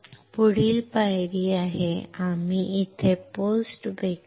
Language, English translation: Marathi, Next step is, we will post bake this